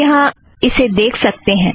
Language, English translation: Hindi, You can see it here